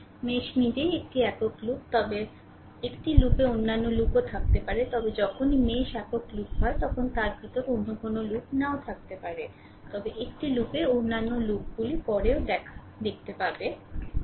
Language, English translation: Bengali, A mesh itself is a single loop right, but but in a loop there may be other loop also right, but whenever the mesh is a single loop there may not be any other loop inside it, but in a loop there may be other loops also later will see that